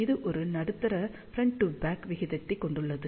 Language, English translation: Tamil, So, it will have a medium front to back ratio